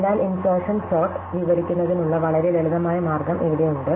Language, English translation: Malayalam, So, here is a very simple way of describing insertion sort